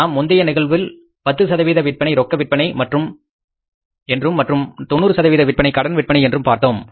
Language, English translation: Tamil, In the previous case we have seen that 10% of sales are on cash and 90% on credit